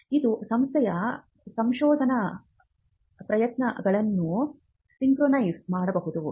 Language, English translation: Kannada, One, it can synchronize the research efforts of an institution